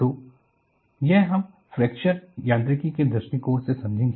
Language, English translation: Hindi, So, this we look at, from the point of view of fracture mechanics